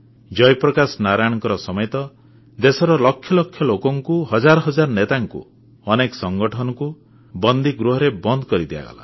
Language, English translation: Odia, Lakhs of people along with Jai Prakash Narain, thousands of leaders, many organisations were put behind bars